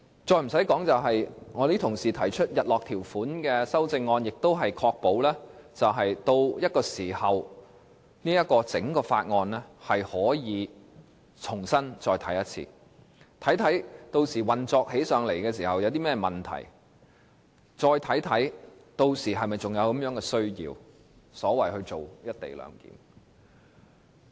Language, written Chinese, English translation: Cantonese, 另外，部分同事提出日落條款的修正案，亦旨在確保到了某個時候，大家可以再次重新審視整項《條例草案》，看看屆時實際運作有何問題，並檢討是否還有需要推行"一地兩檢"。, Moreover some Honourable colleagues have proposed sunset clauses so as to ensure a review of the Bill after a certain period of time . By that time we may examine whether there is still a need for the co - location arrangement in light of problems with the actual operation if any